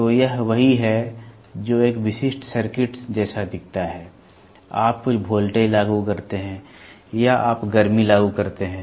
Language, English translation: Hindi, So, this is what is a typical circuit looks like, you apply some voltage or you apply heat